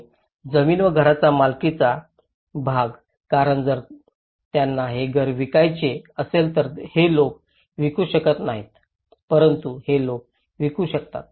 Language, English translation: Marathi, And the ownership part of the land and the house because if they want to sell this house now these people cannot sell but these people can sell